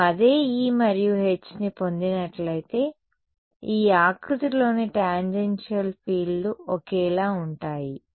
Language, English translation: Telugu, If I get the same E and H the tangential fields on this contour are the same